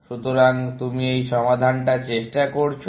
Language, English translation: Bengali, So, you tried this solution